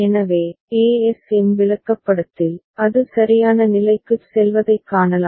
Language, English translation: Tamil, So, in the ASM chart, we can see that is going to state c right